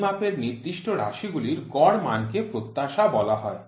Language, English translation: Bengali, The mean value of specified population of measurements is called as expectation